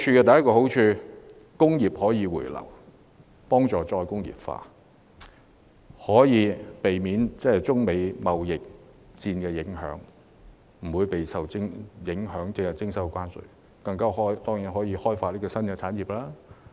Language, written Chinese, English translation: Cantonese, 第一個好處是令工業可以回流，促進再工業化，從而避免受中美貿易戰影響，免被徵收關稅，還可以開發新產業。, First industries will return to Hong Kong and this will facilitate re - industrialization . Then we will not be affected by the trade war between China and the United States and will not be subject to tariffs . We can develop new industries as well